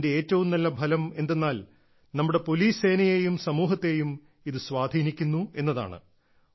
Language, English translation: Malayalam, The most positive effect of this is on the morale of our police force as well as society